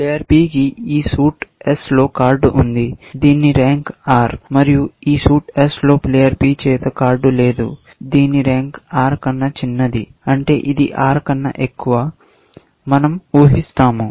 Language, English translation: Telugu, Player P has a card in this suit s whose, rank is R, and there is no card held by player P, in this suit s whose, rank is smaller than R, which means higher than R; we assume that